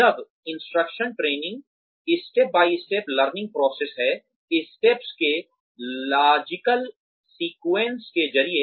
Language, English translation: Hindi, Job instruction training, is a step by step learning process, through a logical sequence of steps